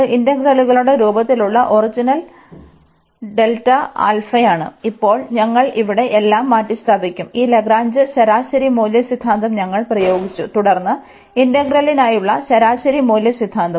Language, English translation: Malayalam, And now we will replace all here we have applied this Lagrange mean value theorem, then the mean value theorem for integral here also mean value theorem for integral